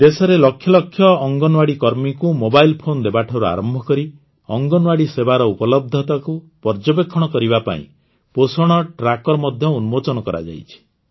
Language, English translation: Odia, From providing mobile devices to millions of Anganwadi workers in the country, a Poshan Tracker has also been launched to monitor the accessibility of Anganwadi services